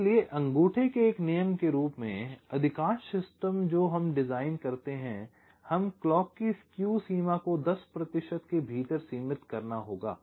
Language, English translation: Hindi, so, as a rule of thumb, most of the systems we design, we have to limit clock skew to within ten percent